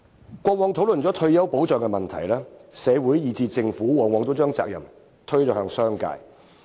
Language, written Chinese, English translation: Cantonese, 以往在討論退休保障問題時，社會以至政府往往把責任推向商界。, In the past both our society and the Government tended to shift their responsibility onto the business community in all discussions on retirement protection